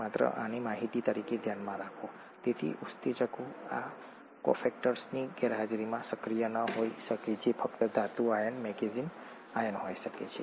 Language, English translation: Gujarati, Just have this in mind as information, so the enzymes may not be active in the absence of these cofactors which could just be a metal ion